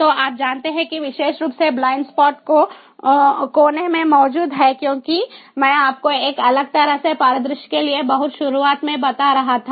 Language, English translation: Hindi, so, ah, you know, in particularly, blind spots exist in the corner, as i was telling you at the very outset for a different kind of scenario